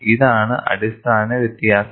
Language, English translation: Malayalam, This is the fundamental difference